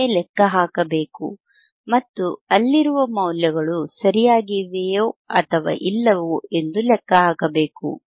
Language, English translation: Kannada, You are to calculate by yourself and calculates whether the values that is there are correct or not